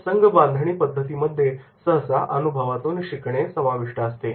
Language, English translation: Marathi, Group building methods often involve experiential learning